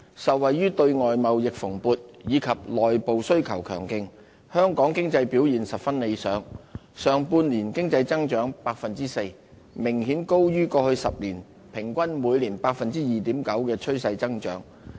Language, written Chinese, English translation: Cantonese, 受惠於對外貿易蓬勃，以及內部需求強勁，香港經濟表現十分理想，上半年經濟增長 4%， 明顯高於過去10年平均每年 2.9% 的趨勢增長。, The vibrant growth in external trade and the strong domestic demand have contributed to the excellent economic performance of Hong Kong . In the first half of the year the economic growth was at a rate of 4 % well above the past - ten - year average trend rate of 2.9 % per annum